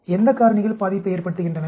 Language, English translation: Tamil, So, what are the parameters that affect